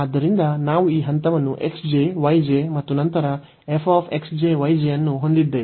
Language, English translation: Kannada, So, we have this point like x j and y j, and then f x j, y j